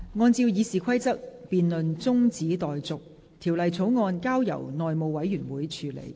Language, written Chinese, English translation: Cantonese, 按照《議事規則》，辯論中止待續，條例草案交由內務委員會處理。, In accordance with the Rules of Procedure the debate is adjourned and the Bill is referred to the House Committee